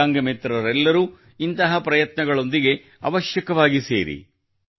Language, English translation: Kannada, Divyang friends must also join such endeavours